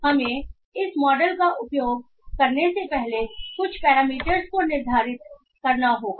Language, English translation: Hindi, So what we do is that we have to set some parameters before we use this model